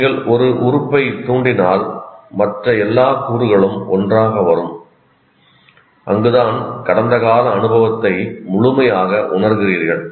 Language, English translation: Tamil, So, anything that you trigger, all the other elements will come together and that is where you feel that the past experience completely